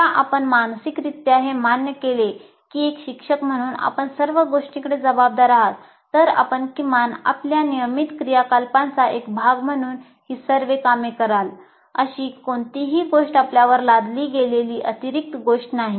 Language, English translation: Marathi, So once you mentally accept that as a teacher you are responsible for all aspects, then you will at least do all this work, at least as a part of your normal activity, not something that is extra that is imposed on you